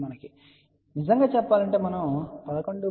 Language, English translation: Telugu, So, just remember it is 11